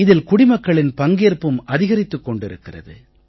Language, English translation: Tamil, The participation of citizens is also increasing